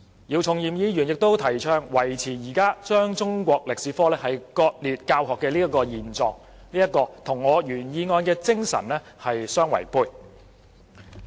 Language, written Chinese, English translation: Cantonese, 姚議員亦提倡維持現時將中史科割裂教學的現狀，這與我原議案的精神相違背。, Mr YIU also advocates maintaining the present mode of teaching Chinese History with other subjects which runs counter to the spirit of my original motion